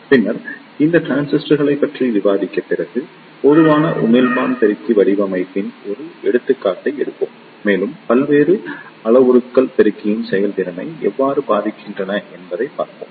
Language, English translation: Tamil, Then, after discussing these transistors, we will take an example of Common Emitter Amplifier Design and we will see how the various parameters affect the performance of the amplifier